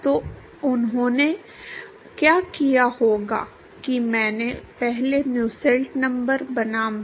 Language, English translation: Hindi, So, what they would have done is I would have first made a plot of Nusselt number versus Reynolds number